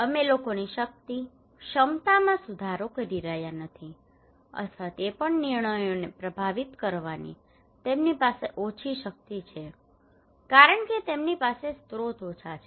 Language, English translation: Gujarati, And also we could not make improve the peoples power, capacity or also they have less power to influence the decisions because they have less resources